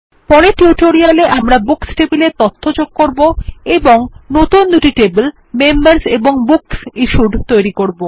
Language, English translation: Bengali, In the next tutorial, we will add data to the Books table and create the Members and BooksIssued tables